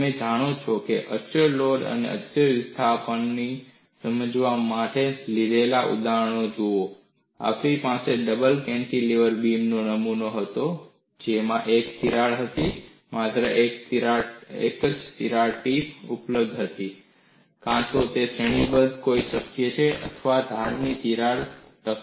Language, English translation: Gujarati, if you look at the examples that we have taken for illustrating constant load and constant displacement, we had the double cantilever beam specimen; that had a single crack; only one crack tip was available; either it could be of that category or a plate with the edge crack